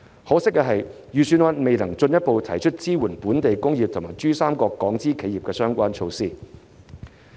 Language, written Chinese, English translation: Cantonese, 可惜的是，預算案未能進一步提出支援本地工業及珠三角港資企業的相關措施。, To our regret the Budget has failed to further propose related measures to support the local industries and Hong Kong - owned enterprises in the Pearl River Delta